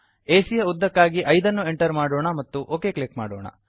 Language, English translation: Kannada, Lets enter 5 for length of AB and click ok